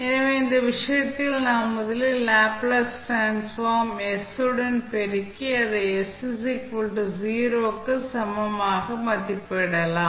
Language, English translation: Tamil, So, in this case we will first multiply the Laplace transform with s and equate it for s is equal to 0